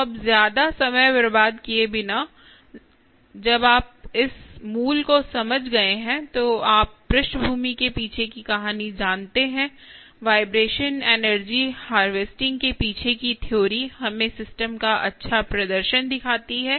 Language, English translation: Hindi, ok, so now, without wasting much time, when having understood ah, this basic ah, you know story behind ah, background theory behind the ah vibration energy harvesting, let us see a nice demonstration of the system